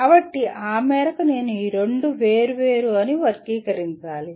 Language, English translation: Telugu, So to that extent I have to classify these two are two different works